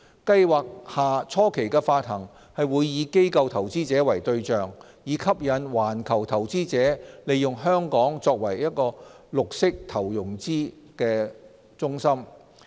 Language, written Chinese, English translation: Cantonese, 計劃下初期的發行會以機構投資者為對象，以吸引環球投資者利用香港作為綠色投融資的中心。, To attract international investors to use Hong Kong for green financing and investing we consider that the initial tranches under the Programme should target at institutional investors